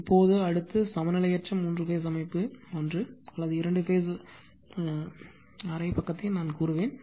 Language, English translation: Tamil, Now, next is unbalanced three phase system, just one or two or just half page I will tell you